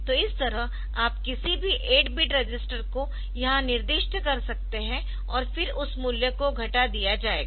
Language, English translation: Hindi, So, like that you can specify any 8 bit register here, so that value will be decremented